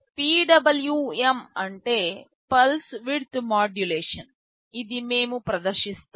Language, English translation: Telugu, PWM stands for Pulse Width Modulation, this we shall be demonstrating